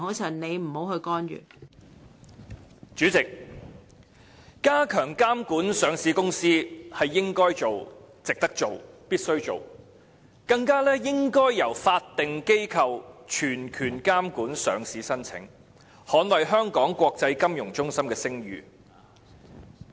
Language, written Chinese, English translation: Cantonese, 代理主席，加強監管上市公司是應該做、值得做、必須做的事情，而且應該由法定機構全權監管上市申請，捍衞香港國際金融中心的聲譽。, Deputy President the Government ought to and is obliged to enhance the regulation of listed companies . While this is worth doing there is also a need to give statutory bodies the full power to monitor listing applications so that Hong Kongs reputation as an international financial centre can be safeguarded